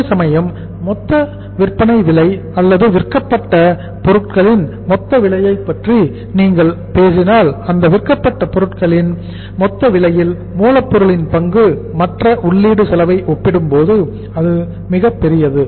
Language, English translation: Tamil, Whereas if you talk about the total selling price or the total cost of goods sold in that total cost of goods sold the composition of raw material is much larger as compared to the other input cost